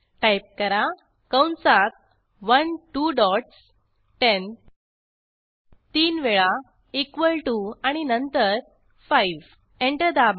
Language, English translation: Marathi, Type Within brackets 1 two dots 10 three times equal to and then 5 Press Enter